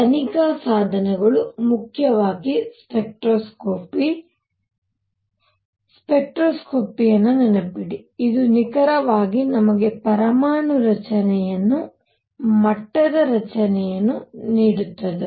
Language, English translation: Kannada, The tools for investigation are mainly spectroscopy, spectroscopy remember this is precisely what gave us the atomic structure the level structure